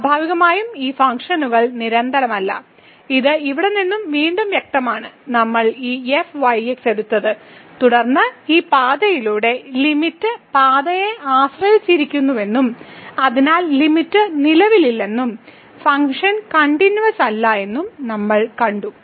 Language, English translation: Malayalam, So, naturally these functions are not continuous, which is clear again from here we have taken this and then along this path we have seen that the limit depends on path and hence the limit does not exist and the function is not continuous